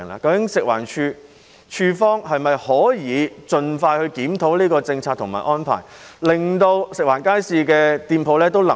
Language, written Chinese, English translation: Cantonese, 究竟食環署可否盡快檢討有關政策和安排，令食環署街市食店的經營狀況能夠改善呢？, Can FEHD review the policy and arrangements as soon as possible so that the operation of food establishments in FEHD markets can be improved?